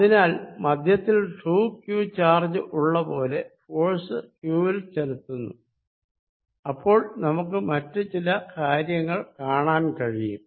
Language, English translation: Malayalam, So, it is as if, at center there is a there is a charge 2 q sitting applying force on q, and the other certain things, we are noticing